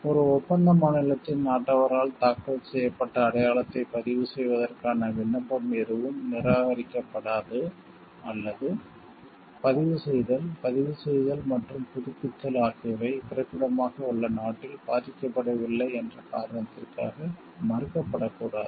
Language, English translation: Tamil, No application for the registration of a mark filed by a national of a contracting state may be refused nor may be a registration being invalidated on the ground that the filing or registration and renewal has not been affected in the country of origin